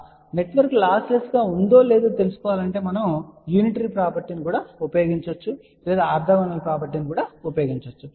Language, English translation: Telugu, Well, in order to find out whether the network is lossless or not we can use the unitary condition also or we can use the orthogonal property also